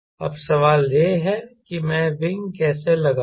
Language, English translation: Hindi, now the question is: how do i put the wings